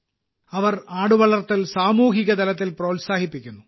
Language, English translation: Malayalam, They are promoting goat rearing at the community level